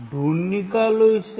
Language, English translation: Hindi, Find it out